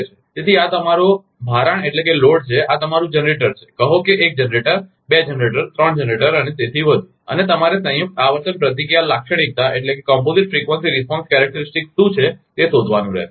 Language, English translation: Gujarati, So, this is your load and this is your generator, say generator one, generate two, generate three and so on and you have to find out what is the composite frequency response characteristic